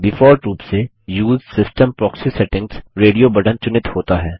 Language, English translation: Hindi, By default, the Use system proxy settings radio button is selected